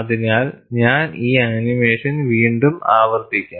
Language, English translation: Malayalam, So, what I would do is, I would repeat the animation for this